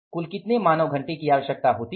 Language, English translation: Hindi, Total number of hours are how many